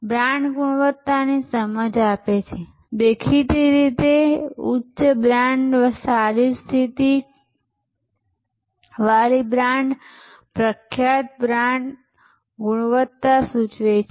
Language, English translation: Gujarati, Brand conveys quality perception; obviously, a high brand, a well position brand, a famous brand connotes quality